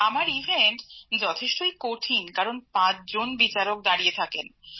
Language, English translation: Bengali, In an event like mine it is very tough because there are five judges present